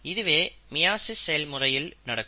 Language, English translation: Tamil, This is what happens in the process of meiosis